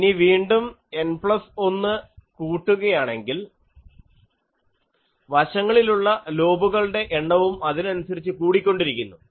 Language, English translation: Malayalam, Now, again if N plus 1 increases, the number of side lobes also increases